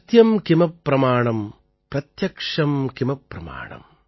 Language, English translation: Tamil, Satyam kim pramanam, pratyaksham kim pramanam